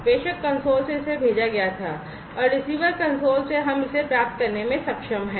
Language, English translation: Hindi, So, from the sender console it was sent and from the receiver console we are able to receive this